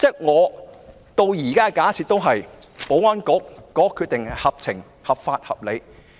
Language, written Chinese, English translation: Cantonese, 我到目前為止仍假設保安局的決定合法、合情、合理。, So far I still assume that the Security Bureau has made a lawful sensible and reasonable decision